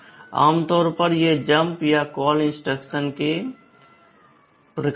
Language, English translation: Hindi, Typically these are jump or call kind of instructions